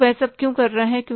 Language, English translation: Hindi, So, why is doing all that